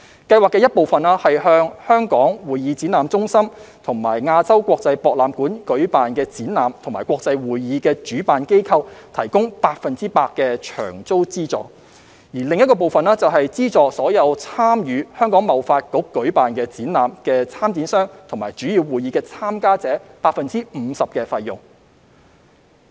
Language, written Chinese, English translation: Cantonese, 計劃的一部分是向在香港會議展覽中心和亞洲國際博覽館舉辦的展覽和國際會議的主辦機構提供百分百的場租資助；另一部分是資助所有參與香港貿易發展局舉辦的展覽的參展商和主要會議的參加者 50% 的費用。, One part of the scheme subsidizes organizers of exhibitions and international conventions held at the Hong Kong Convention and Exhibition Centre and the AsiaWorld - Expo 100 % of the venue rental; and the other part subsidizes all exhibitors of exhibitions organized by the Hong Kong Trade Development Council and participants of its major conventions 50 % of their participation fees